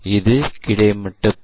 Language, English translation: Tamil, This is the horizontal plane